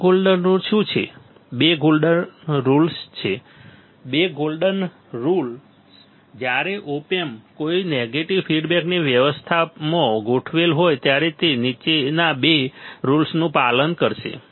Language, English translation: Gujarati, What are these golden rules there are two golden rules ok, golden rules two golden rules when op amp is configured in any negative feedback arrangement it will obey the following two rules